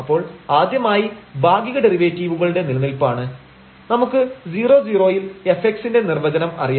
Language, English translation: Malayalam, So, first the existence of partial derivatives; so, we know the definition of f x at 0 0